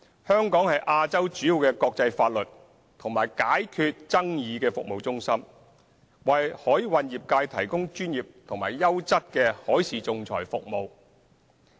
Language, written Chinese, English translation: Cantonese, 香港是亞洲主要的國際法律及解決爭議服務中心，為海運業界提供專業及優質的海事仲裁服務。, Hong Kong is a major international law and dispute resolution service centre in Asia providing professional and quality maritime arbitration services to the maritime industry